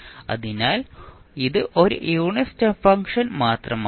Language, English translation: Malayalam, So, this is nothing but a unit step function